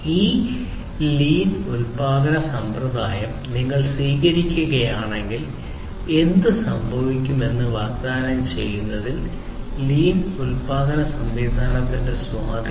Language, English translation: Malayalam, The impact of lean production system are in terms of offering what is going to happen if you are adopting this lean production system